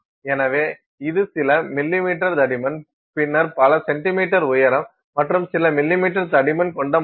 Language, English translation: Tamil, So, this is the few millimeters thick and then a sample that is several centimeters tall, several centimeters tall and a few millimeters thick